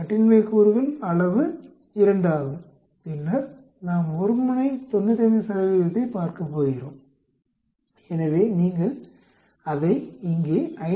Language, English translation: Tamil, The degrees of freedom is 2 and then we are going to looking into one sided 95 percent, So you get it as 5